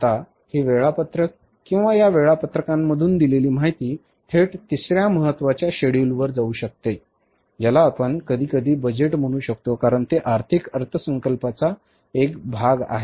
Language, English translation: Marathi, Now, these schedules or the information from these schedules can be state way taken to the third important, say, schedule you would call it as or sometimes we call it as a budget because it is a part of the financial budget